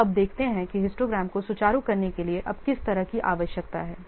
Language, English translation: Hindi, So now let's see how the need is now to smoothen the histogram